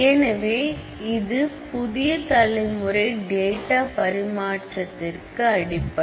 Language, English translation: Tamil, So, has become the basis for all kinds of new generation data interchange format